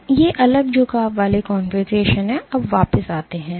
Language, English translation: Hindi, So, these are different bending configurations; now coming back